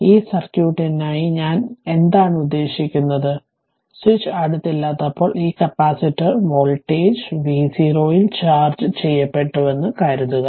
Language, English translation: Malayalam, What I want to mean for this circuit for this circuit right for this circuit , that when switch was not close, it was open initially, suppose capacitor was this capacitor was charged at voltage v 0 right